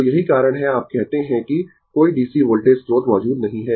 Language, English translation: Hindi, So, that is why, your what you call that no DC voltage source is present